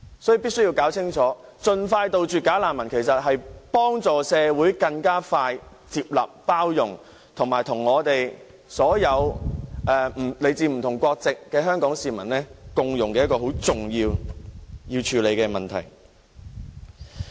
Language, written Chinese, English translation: Cantonese, 所以，大家必須明白，盡快杜絕"假難民"其實是幫助社會更快地接納、包容少數族裔人士，以及令他們能與所有來自不同國家的香港市民共融。這是一個很重要而須處理的議題。, Therefore we must understand that the speedy eradication of the bogus refugees problem can in fact assist our society in accepting and accommodating ethnic minorities more quickly and bring forth the integration of all Hong Kong residents regardless of where they come from